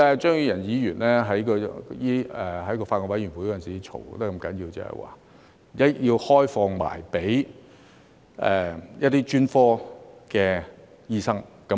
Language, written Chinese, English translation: Cantonese, 張宇人議員在法案委員會上吵得那麼要緊，就是希望開放予專科醫生。, That was the reason why Mr Tommy CHEUNG argued so passionately at the Bills Committee meeting that it should be open to specialist doctors